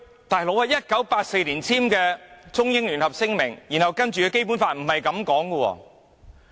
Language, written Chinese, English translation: Cantonese, 但是 ，1984 年簽署的《中英聯合聲明》，以及隨後的《基本法》可不是這樣說。, However neither the Sino - British Joint Declaration signed in 1984 nor the subsequently enacted Basic Law says so